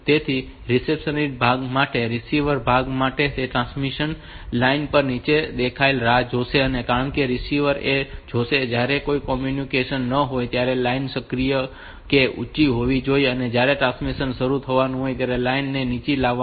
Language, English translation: Gujarati, So, for the reception part, for the receiver part, it will wait for a low to appear on the transmission line because receiver it will see that line to be active to be high when there is no communication and when a transmission is going to start then this line is brought low